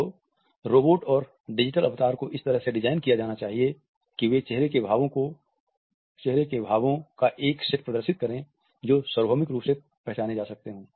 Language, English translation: Hindi, Should companion robots and digital avatars be designed in such a fashion that they display a set of facial expressions that are universally recognized